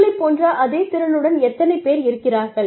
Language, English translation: Tamil, How many people are there, with the same skill set, as you